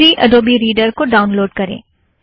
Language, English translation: Hindi, Download the free adobe reader